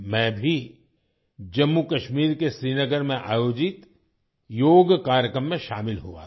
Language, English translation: Hindi, I also participated in the yoga program organized in Srinagar, Jammu and Kashmir